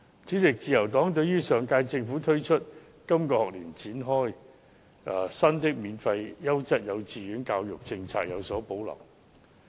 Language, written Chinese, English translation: Cantonese, 主席，自由黨對於上屆政府推出及在本學年展開的新"免費優質幼稚園教育政策"有所保留。, President the Liberal Party has reservations about the new Free Quality Kindergarten Education Scheme introduced by the previous government and launched this year